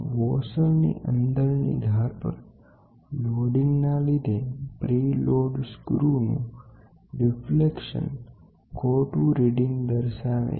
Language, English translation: Gujarati, The deflection of a preloaded screw the loading in the inner edge of the washer gives an incorrect output